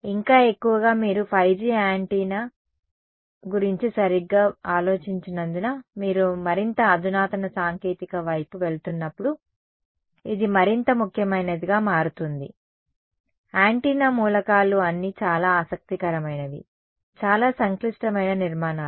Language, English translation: Telugu, And more so, as you go towards more sophisticated technology this becomes more important because you have think of 5G antenna array board right, the antenna elements are all very interesting, very complicated structures